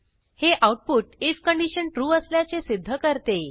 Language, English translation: Marathi, This output proves that the if condition returned true